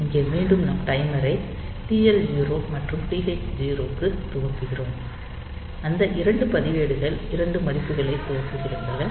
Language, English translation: Tamil, So, it is basically this jumping to this point here, and here again we are initializing the timer to TL 0 and TH 0 those 2 registers were initializing 2 values